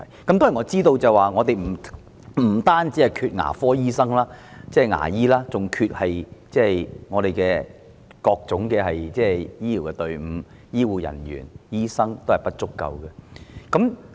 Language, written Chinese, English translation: Cantonese, 當然，我知道我們不單欠缺牙醫，更欠缺各種醫療隊伍，醫護人員和醫生均不足夠。, I certainly know that we lack not only dentists but also multidisciplinary medical teams . Both health care workers and medical practitioners are inadequate